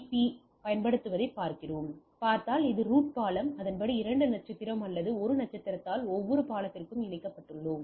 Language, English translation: Tamil, Now looking applying STP, if we see so this is my root bridge and accordingly we connected by 2 star or 1 star which is from this every bridge